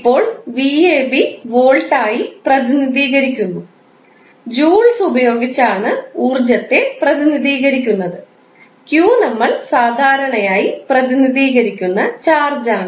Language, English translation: Malayalam, Now, v ab we simply say as volt energy, we simply give in the form of joules and q is the charge which we generally represent in the form of coulombs